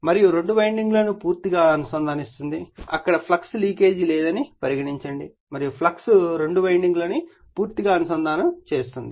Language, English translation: Telugu, And links fully both the windings there is no leakage of the flux, you are assuming there is no leakage and the flux links both the windings fully